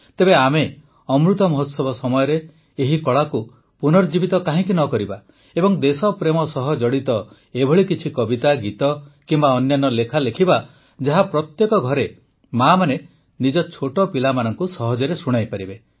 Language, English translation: Odia, So why don't we, in the Amritkaal period, revive this art also and write lullabies pertaining to patriotism, write poems, songs, something or the other which can be easily recited by mothers in every home to their little children